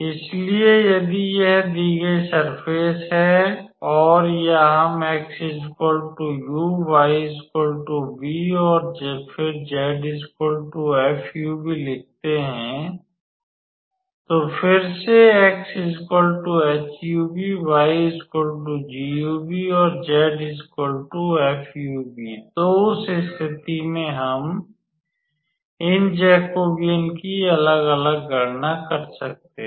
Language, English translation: Hindi, So, if this is the given surface or we can write x equals to u y equals to v and then z is our f of u, v, so again x is equals to some h u, v, y equals to some g u, v and z is our f u, v, then in that case we can calculate these individual Jacobians